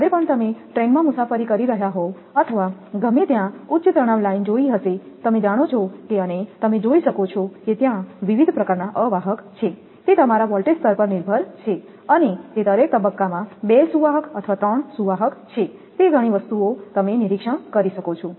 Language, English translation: Gujarati, Whenever you are traveling by train or anywhere you know high tension line looking that, you can see different type of insulators are there, it depends on the your voltage level and it is double conductor or three conductors in each phase, several things you can observe